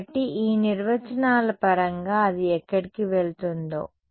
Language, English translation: Telugu, So, in terms of this definitions over here where it go